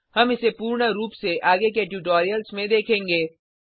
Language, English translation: Hindi, We will cover its details in future tutorials